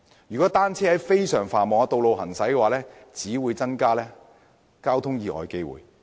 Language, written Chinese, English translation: Cantonese, 如果單車在非常繁忙的道路行駛，只會增加交通意外的機會。, Riding bicycles on busy roads will only increase the chances of traffic accidents